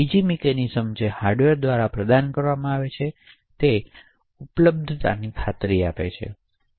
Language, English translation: Gujarati, The third mechanism which is provided by the hardware ensures availability